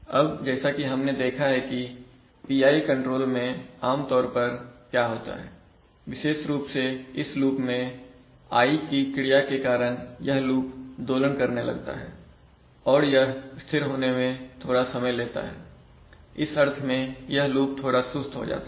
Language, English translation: Hindi, Now as we have seen that what happens generally in PI control especially is that the loop, generally stabilizes because of the I action, the loop generally tends to oscillate and it takes some time to settle, so in that sense the loop becomes a little sluggish